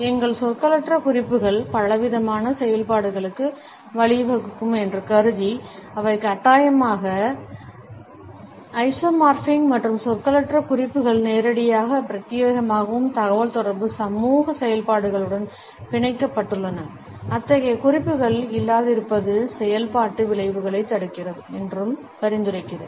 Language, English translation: Tamil, Assuming that our nonverbal cues lead to a variety of functions, which are compulsorily isomorphic and I quote suggesting that “nonverbal cues are tied directly and exclusively to communicative social functions, such that the absence of such cues precludes functional effects from occurring”